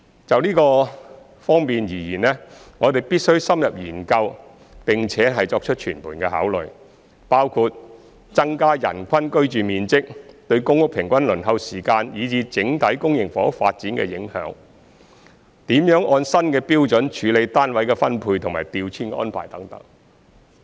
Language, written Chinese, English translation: Cantonese, 就這方面而言，我們必須深入研究並作全盤考慮，包括增加人均居住面積對公屋平均輪候時間以至整體公營房屋發展的影響、怎樣按新標準處理單位的分配和調遷安排等。, In this regard we must conduct an in - depth study and give consideration in a holistic manner including the impact of increasing the average living space per person on the average waiting time for PRH and the overall public housing development and how to handle the allocation and transfer arrangements in accordance with the new standards